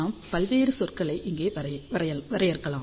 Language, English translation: Tamil, So, let us define various terms over here